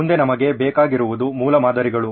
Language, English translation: Kannada, Next what we need are prototypes